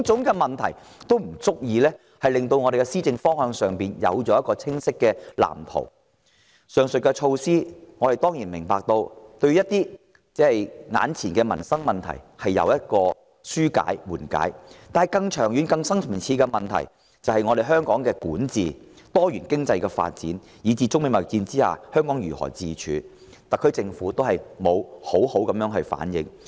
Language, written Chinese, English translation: Cantonese, 我們當然明白，上述措施有助緩解一些眼前的民生問題。惟更長遠、更深層次的問題，亦即香港的管治，多元經濟發展，以至中美貿易戰下香港如何自處的問題，特區政府都沒有好好回應。, While we certainly appreciate that the aforementioned measures will help ease some of the livelihood problems presently faced by the people the SAR Government fails to respond properly to the longer - term and more deep - seated problems namely problems relating to the governance of Hong Kong diversification of our economic development and how Hong Kong should cope in the midst of the trade war between China and the United States